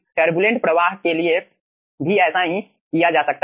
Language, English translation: Hindi, similar thing can be done for turbulent flow